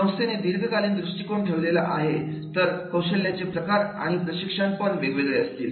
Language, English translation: Marathi, If the organization is going for the long term, then the skill type and the training practices that will be different